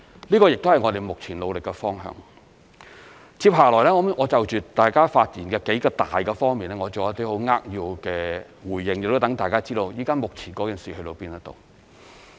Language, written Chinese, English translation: Cantonese, 這亦是我們目前努力的方向。接下來我會就大家發言的數個方面作一些扼要的回應，亦讓大家知道目前的進展。, I will now give some brief responses to several points raised in Members speeches and update Members on the progress we have made so far